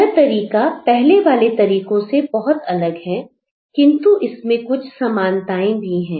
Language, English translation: Hindi, Now this approach is very different from the earlier approach with some similarities